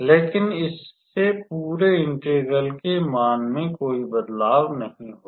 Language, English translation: Hindi, But that will not alter the value of the overall integral